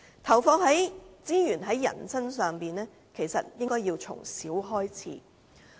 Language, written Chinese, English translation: Cantonese, 投放資源在人身上，其實應從小開始。, The deployment of resources on people should start in their childhood stage